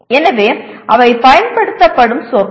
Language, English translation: Tamil, So those are the words used